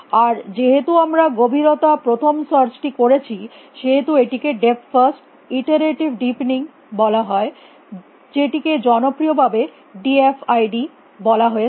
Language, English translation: Bengali, And because, we are doing depth first search this is called depth first iterative deepening which is popularly known as d f i d